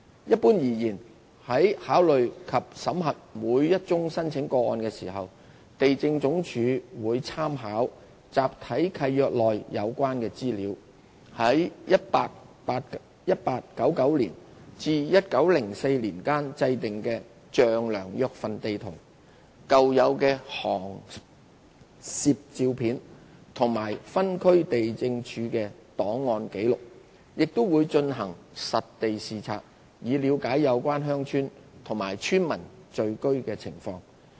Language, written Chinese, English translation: Cantonese, 一般而言，在考慮及審核每宗申請個案時，地政總署會參考集體契約內有關的資料、在1899年至1904年間制訂的丈量約份地圖、舊有的航攝照片及分區地政處的檔案紀錄，亦會進行實地視察，以了解有關鄉村及村民聚居的情況。, Generally speaking LandsD considers and examines each application by making reference to the relevant information in the Block Government Leases the Demarcation District sheets produced between 1899 and 1904 old aerial photographs and file records in the District Lands Offices and by conducting site inspections with a view to looking into the situation of the villages concerned and the signs of habitation by the villagers concerned